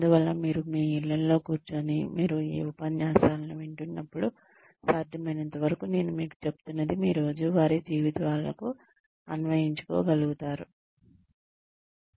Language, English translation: Telugu, So that, you sitting in your homes, when you are listening to this set of lectures, you will be able to apply, whatever I am telling you, to your daily lives, as far as possible